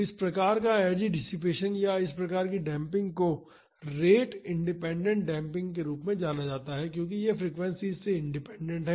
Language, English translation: Hindi, So, this type of energy dissipation or this type of damping is known as a rate independent damping, because it is independent of the frequencies